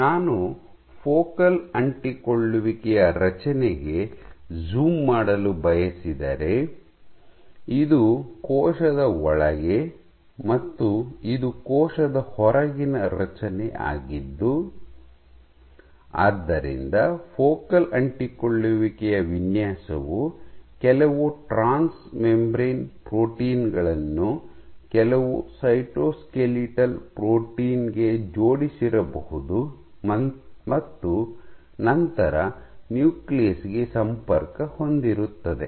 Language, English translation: Kannada, So, this for your focal adhesions, if I zoom in to this structure what I propose, this is inside the cell and this is outside so the design of the focal adhesion probably might have some transmembrane protein linked to some cytoskeletal protein and then you have the connection to the nucleus